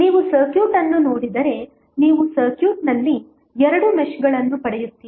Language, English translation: Kannada, If you see the circuit you will get two meshes in the circuit